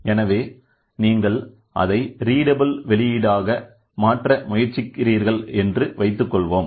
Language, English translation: Tamil, So, suppose you has to be converted into a readable output